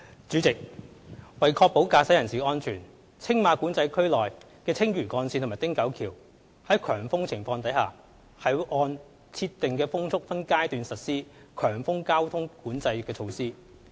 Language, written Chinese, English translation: Cantonese, 主席，為確保駕駛人士的安全，青馬管制區內的青嶼幹線和汀九橋在強風情況下，會按設定的風速分階段實施強風交通管制措施。, President to ensure the safety of motorists when high wind situations occur at the Lantau Link and Ting Kau Bridge in Tsing Ma Control Area TMCA high wind traffic management measures will be implemented in phases commensurate with prescribed wind speeds